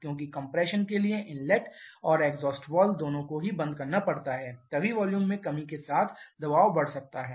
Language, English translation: Hindi, Because for the compression to happen both inlet and exhaust valve has to be closed then only the pressure can keep on increasing with reduction in volume